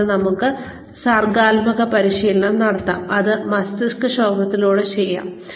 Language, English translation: Malayalam, And, we can have creativity training, which can be done through brainstorming